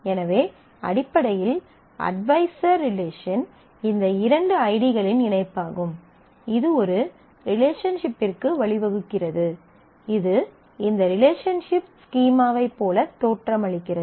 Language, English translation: Tamil, So, the advisor relation is basically a pairing of these two ids which gives rise to a relationship which looks like this relationship schema which looks like this